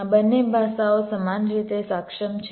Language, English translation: Gujarati, both of this languages are equally capable